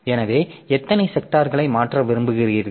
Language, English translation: Tamil, So, how many sectors you want to transfer